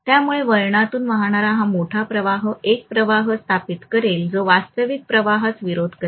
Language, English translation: Marathi, So this large current flowing through the winding will establish a flux which will be actually opposing the original flux